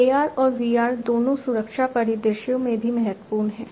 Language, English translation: Hindi, Both AR and VR are also important in safety scenarios